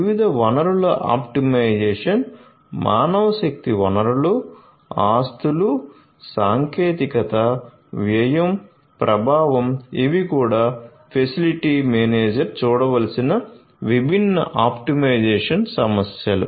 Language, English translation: Telugu, Optimization of different resources manpower resources, assets, technology, cost effectiveness these are also different optimization issues that a facility manager deals with